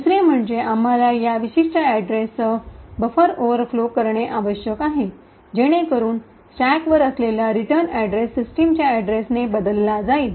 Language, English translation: Marathi, Second we need to overflow the buffer with this particular address so that the written address located on the stack is replaced by the address of system